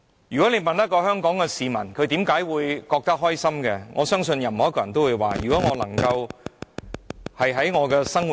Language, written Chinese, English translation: Cantonese, 如果問香港市民如何才會覺得開心，我相信任何一位都會說，只要生活......, If Hong Kong people are asked how they would feel happy I guess all of them would reply that as long as life